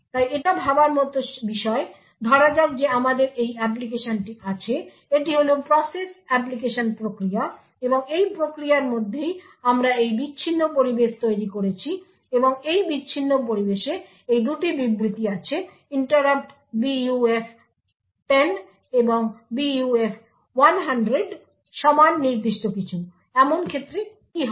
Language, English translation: Bengali, us assume that we have this application, this is the process application process and within this process we have created this isolated environment and in this isolated environment there are these two statements interrupt buf 10 and buf 100 equal to some particular thing, what would happen in such a case